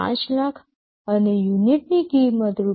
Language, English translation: Gujarati, 5 lakhs and unit cost is Rs